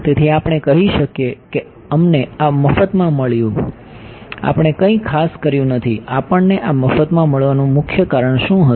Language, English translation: Gujarati, So, we can say we got this for free, we did not do anything special; what was the key reason we got this for free